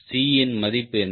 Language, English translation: Tamil, ok, so now the value of c